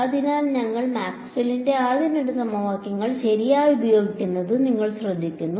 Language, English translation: Malayalam, So, you notice that we use the first two equations of Maxwell right